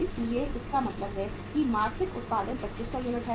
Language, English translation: Hindi, So it means monthly production is 2500 units